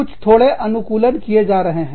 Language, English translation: Hindi, Some slight adaptations, are being done